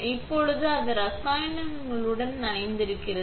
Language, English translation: Tamil, Now, it is soaked with chemicals